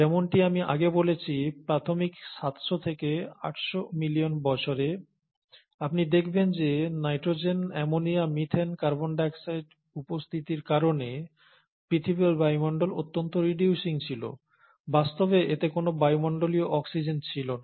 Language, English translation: Bengali, As I mentioned earlier, it is in, in the initial seven hundred to eight hundred million years, you would find that the earth’s atmosphere was highly reducing because of presence of nitrogen, ammonia, methane, carbon dioxide, and it actually did not have any atmospheric oxygen